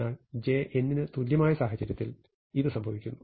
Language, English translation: Malayalam, But this also happens in case j is equal to n